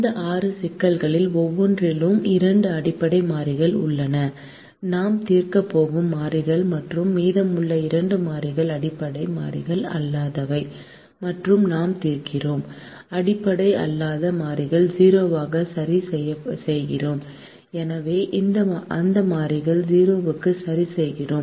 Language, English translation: Tamil, in each of these six problems there are two basic variables, the variables that we are going to solve, and we have the remaining two variables as non basic variables and we solve, we, we fix the non basic vary variables to zero